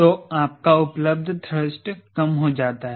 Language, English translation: Hindi, so you should have enough thrust available, right